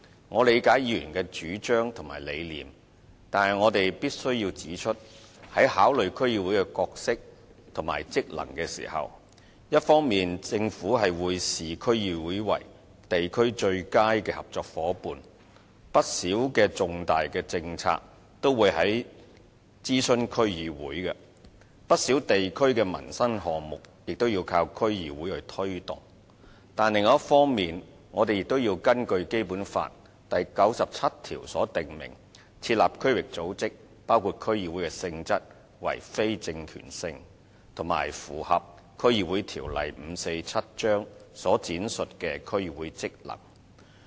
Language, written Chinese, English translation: Cantonese, 我理解議員的主張及理念，但我必須指出，在考慮區議會的角色及職能時，一方面政府會視區議會為地區最佳的合作夥伴，不少的重大政策也會諮詢區議會，不少地區的民生項目亦靠區議會推動；但另一方面，我們亦要按照《基本法》第九十七條設立區域組織，而區議會的性質屬非政權性，須符合《區議會條例》所闡述的區議會職能。, But I must point out that in considering the role and functions of DCs the Government will on the one hand regard DCs as the best partner at the district level consulting them on a number of major policies and relying on them to take forward a number of livelihood - related projects in the districts . But on the other hand our establishment of district organizations including DCs has to be compliant with Article 97 of the Basic Law . And DCs are not organs of political power in nature and must discharge the functions as set out in the District Councils Ordinance Cap